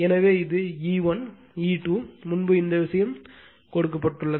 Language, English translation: Tamil, So, this is my E 1, in this is my E 2, earlier is this thing is given